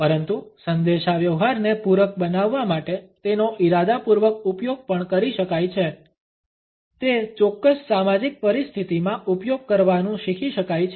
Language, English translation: Gujarati, But it can also be used in an intentional manner in order to complement the communication it can also be learnt to pass on in a particular social situation